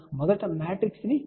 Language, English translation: Telugu, Let us open the matrix first